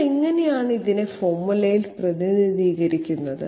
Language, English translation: Malayalam, B i okay so how do we represent this on the formula